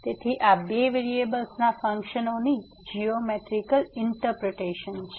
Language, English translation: Gujarati, So, this is the interpretation the geometrical interpretation of the functions of two variables